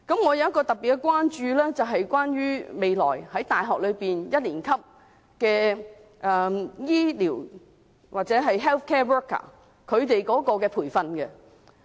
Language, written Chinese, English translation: Cantonese, 我特別關注的是未來大學一年級的醫療人員或 health care worker 的培訓情況。, I am particularly concerned about the training of health care workers in the first year of university in the future